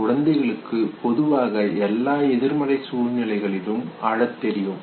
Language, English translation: Tamil, Now infants usually have been found to know, cry in all negative situations okay